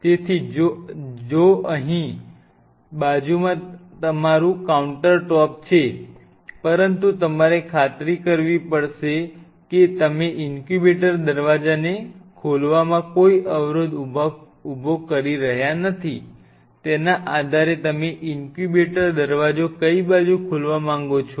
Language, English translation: Gujarati, So, if this is your countertop along the side of the countertop out here, but you have to ensure that you are not obstructing the opening of the incubator door depending on which side of the incubator door, it in which side you want to open the incubator door